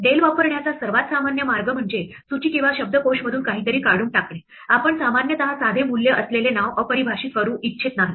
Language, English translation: Marathi, The most normal way to use del is to remove something from a list or a dictionary, you would not normally want to just undefine name which is holding simple value